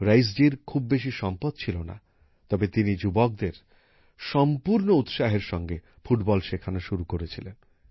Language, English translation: Bengali, Raees ji did not have many resources, but he started teaching football to the youth with full dedication